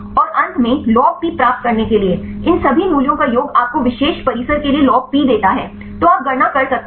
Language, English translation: Hindi, And finally, to get the log P, the summation of all these values give you the log P for the particular compound; so you can calculate